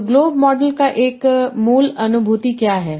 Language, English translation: Hindi, And so what is the basic intuition of globe model